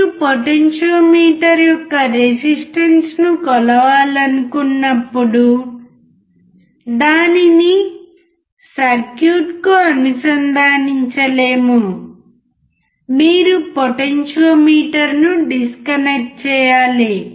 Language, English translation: Telugu, Whenever you want to measure the resistance of the potentiometer, it cannot be connected to the circuit, you need to disconnect the potentiometer